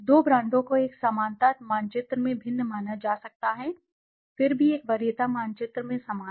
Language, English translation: Hindi, Two brands may be perceived as different in a similarity map, yet similar in a preference map